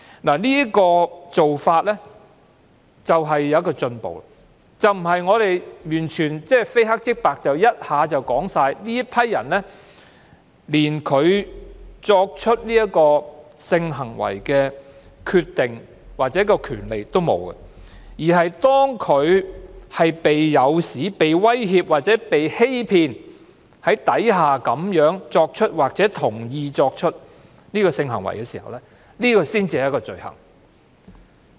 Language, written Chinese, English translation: Cantonese, 這種做法是一種進步，不是完全非黑即白地說有關人士連進行性行為的決定或權利也沒有，反而是有關人士被誘使、威脅或欺騙而進行或同意進行性行為才是罪行。, This approach is a kind of progress as it does not state definitely that a PMI cannot make the decision or has the right to engage in sexual activity . On the contrary causing a PMI to engage in or agree to engage in sexual activity by inducement threat or deception is an offence